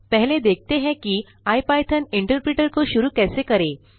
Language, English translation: Hindi, Let us first see how to start the ipython interpreter